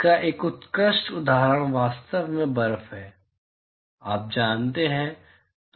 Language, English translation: Hindi, An excellent example of this is actually snow, you know